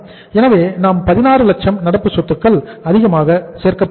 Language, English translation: Tamil, So we are going to add up the 16 lakhs of the current assets more